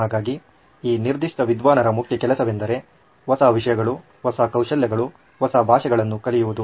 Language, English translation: Kannada, So this particular scholar’s main job was to learn new things, new skills, new languages